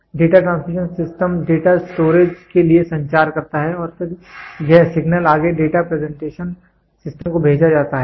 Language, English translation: Hindi, This Data Transmission System communicates to the data storage and then this signal is further sent to Data Presentation System